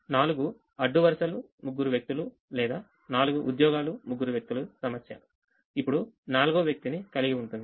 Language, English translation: Telugu, a four row, three person or four job, three person problem will now have a fourth person, which is a column